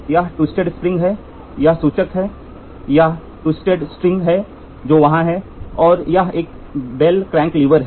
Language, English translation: Hindi, Two halves, this is the twisted spring this is the this is the pointer this is the twisted string which is there, and this is a bell crank lever this is the bell crank lever